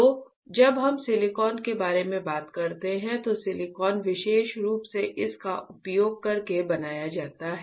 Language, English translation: Hindi, So, silicon when we talk about silicon especially silicon is fabricated using what